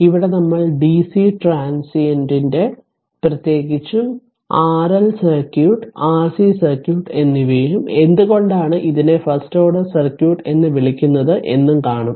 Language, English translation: Malayalam, So, and here we will see the dc transient particularly the your ah R L circuit and R C circuit ah only the we will see that why it is called first order circuit also